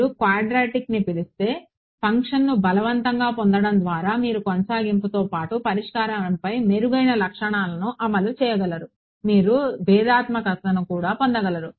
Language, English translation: Telugu, You get by forcing the function to be what do you call quadratic you may be able to enforce better properties on the solution apart from continuity you may also be able to get differentiability right